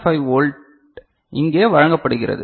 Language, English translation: Tamil, 5 volt is presented here